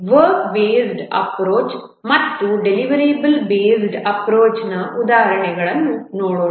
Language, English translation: Kannada, Let's look at some examples of the work based and deliverable based approach